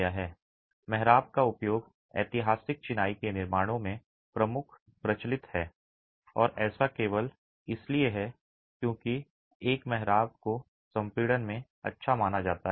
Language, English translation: Hindi, The use of arches is predominant, prevalent in historic masonry constructions and that is simply because an arch is known to be good in compression